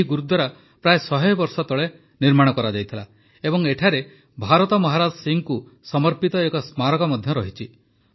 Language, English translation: Odia, This Gurudwara was built about a hundred years ago and there is also a memorial dedicated to Bhai Maharaj Singh